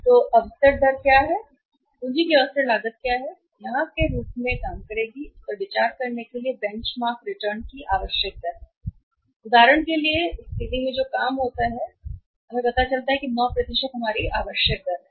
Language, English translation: Hindi, So, what is opportunity rate of ; what is opportunity cost of capital that will work here as the benchmark for considering it is a required rate of return and for example in the situation but they work that out here is in this situation we find out is that 9% is our required rate of return